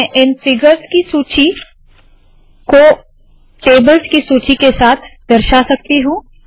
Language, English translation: Hindi, I can also make this list of figures appear along with the list of tables